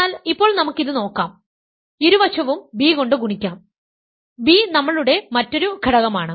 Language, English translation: Malayalam, But now let us look at this and multiply both sides by b; b is our other element